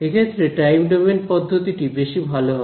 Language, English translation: Bengali, So, time domain methods would be better for that